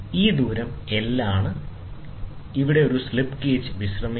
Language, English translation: Malayalam, And this on this is resting; this is resting on a slip gauge